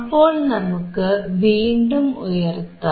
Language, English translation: Malayalam, So, let us keep on increasing